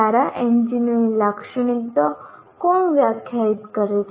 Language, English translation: Gujarati, Who defines the characteristics of a good engineer